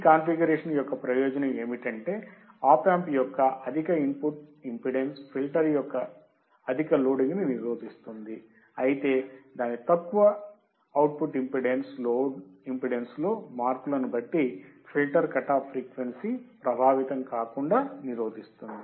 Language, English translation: Telugu, The advantage of this configuration is that Op Amp's high input impedance prevents excessive loading of the filter output while its low output impedance prevents a filter cut off frequency point from being affected by changing the impedance of the load